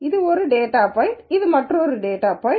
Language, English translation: Tamil, So, this is one data point this is another data points on